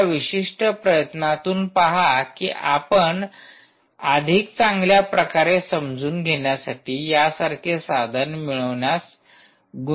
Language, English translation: Marathi, try and see if you can invest in obtaining a, a tool like this for better understanding